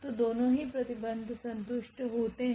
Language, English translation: Hindi, So, both the conditions are satisfied